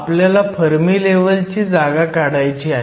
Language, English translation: Marathi, We want to know the position of the fermi level